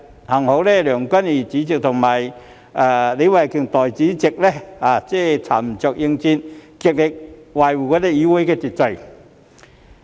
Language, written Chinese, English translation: Cantonese, 幸好主席梁君彥議員和代理主席李慧琼議員沉着應戰，極力維護議會秩序。, Fortunately President Mr Andrew LEUNG and Deputy President Ms Starry LEE exerted their utmost to maintain order in the legislature with composure